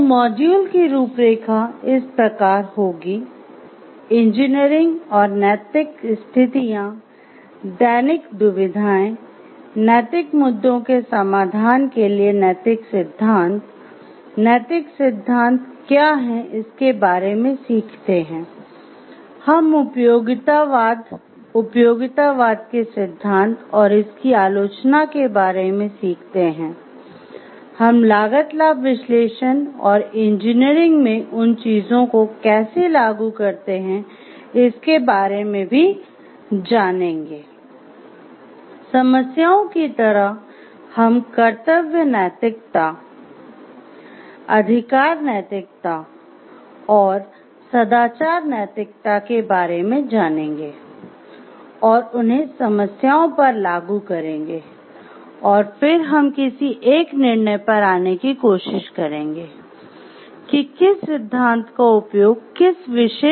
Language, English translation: Hindi, So, the outline of the module will be engineering and ethical situations, ethical dilemmas, ethical theories as a solution for resolving ethical issues, we learn about what is a moral theory, and we learn about utilitarianism, the tenets of utilitarianism and the criticism of it, we will learn about cost benefit analysis and how we apply at those things in engineering